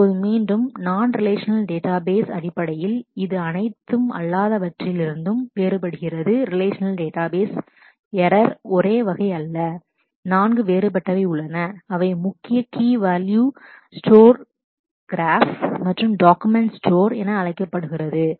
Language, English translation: Tamil, Now again in terms of the non relational database, it does differ in terms of all non relational database error are not of the same type, there are there have been 4 different styles or strategies to actually generate realize these non relational databases, they are called key value store graph, store columns stores and document store